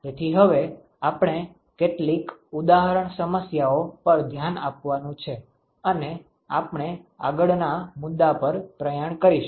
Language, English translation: Gujarati, So, what we are going to do next is we are going to look at some example problems and we will march on to the next issue